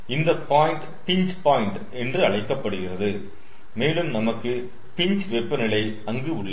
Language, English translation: Tamil, so this point actually is called the pinch point and here we will have the pinch temperature